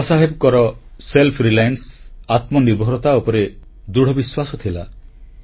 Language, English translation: Odia, Baba Saheb had strong faith in selfreliance